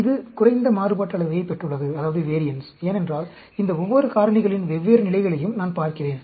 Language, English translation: Tamil, It has got lower variance, because I am looking at different levels of each of these factors